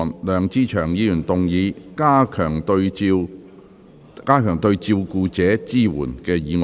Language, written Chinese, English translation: Cantonese, 梁志祥議員動議的"加強對照顧者的支援"議案。, Mr LEUNG Che - cheung will move a motion on Enhancing support for carers